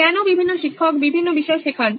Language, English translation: Bengali, Why are there different subjects taught by different teachers